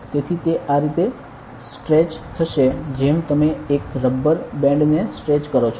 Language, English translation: Gujarati, So, it will stretch right like; a rubber band you stretched